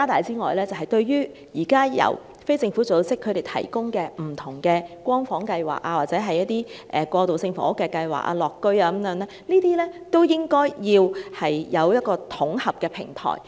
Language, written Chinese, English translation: Cantonese, 此外，就着現時由非政府機構提供的不同"光房"計劃或過渡性房屋計劃，例如"樂屋"等，亦應有一個統合平台。, In addition there should also be a consolidated platform for various Light Home or transitional housing programmes such as Lok Sin Tong Social Housing Scheme currently provided by NGOs